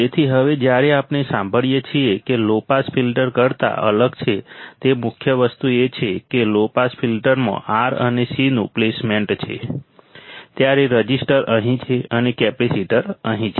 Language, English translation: Gujarati, So, now, when we hear the main thing which is different than the low pass filter is the placement of the R and C in the low pass filter, the resistor is here and the capacitor is here